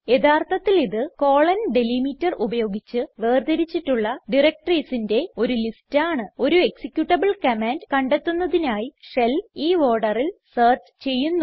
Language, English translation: Malayalam, It is actually a list of directories separated by the#160: delimiter, that the shell would search in this order for finding an executable command